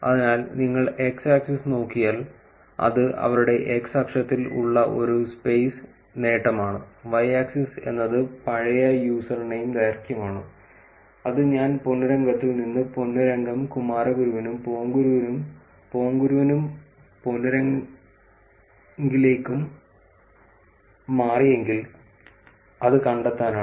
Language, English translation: Malayalam, So, if you look at the x axis, it is a space gain being in their x axis and y axis is old username length which is to find out that if I moved from ponnurangam to ponnurangam kumaraguru to Ponguru versus Ponguru to ponnurangam kumaraguru, what is happening and why are users doing that